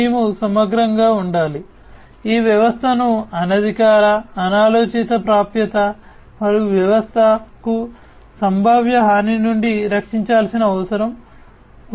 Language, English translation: Telugu, We have to holistically, we need to protect we need to protect this system from unauthorized, unintended access and potential harm to the system